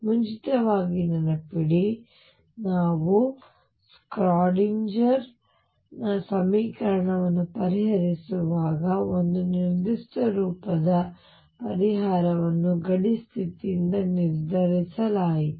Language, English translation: Kannada, Remember earlier when we where solving the Schrödinger equation a particular form of the solution was decided by the boundary condition